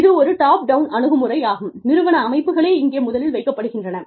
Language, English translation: Tamil, This a top down approach, where the organizational systems, are put in place, first